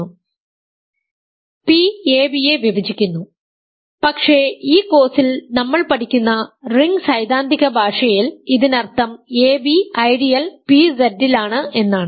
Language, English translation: Malayalam, p divides ab, but in the ring theoretic language that we are learning in this course, this means that ab is in the ideal pZ